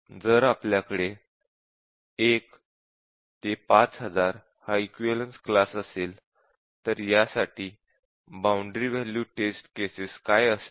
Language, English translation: Marathi, If we have a boundary 1 to 5000, we have equivalence class 1 to 5000, so what would be the boundary value test cases for this